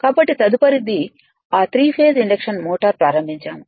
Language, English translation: Telugu, So, so 3 phase induction motor will start